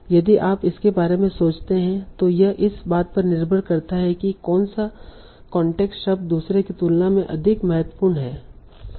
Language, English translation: Hindi, So again if we think about it, it can depend on which context term is more important than another